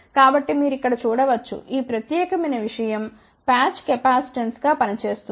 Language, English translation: Telugu, So, you can see over here this particular thing acts as a patch capacitance